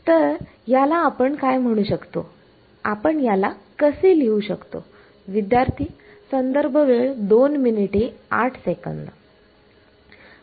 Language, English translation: Marathi, So, what can we call it, how will we write it